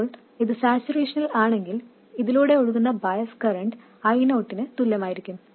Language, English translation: Malayalam, Now if this is in saturation, the bias current flowing through this will be equal to i0